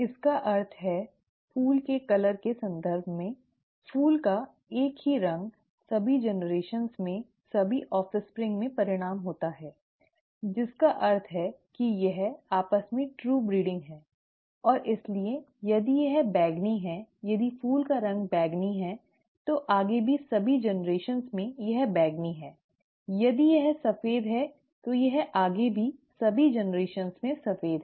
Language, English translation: Hindi, It means, in the context of flower colour, the same of flower results in all the offspring in all the generations, okay; which means it is true breeding amongst itself and therefore if it is purple; if the flower colour is purple, it is purple throughout in all the generations forward; if it is white, it is white in all the generations forward